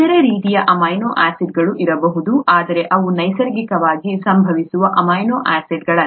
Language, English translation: Kannada, There could be other types of amino acids, but they are not naturally occurring amino acids